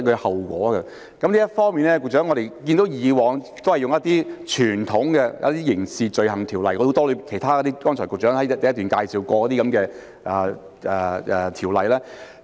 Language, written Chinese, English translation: Cantonese, 就此，局長，我們看到以往也是引用較傳統的《刑事罪行條例》，以及局長剛才在主體答覆第一部分介紹過的其他很多條例。, In this connection Secretary we can see that in the past the more traditional Crimes Ordinance and various other ordinances mentioned by the Secretary in part 1 of the main reply were invoked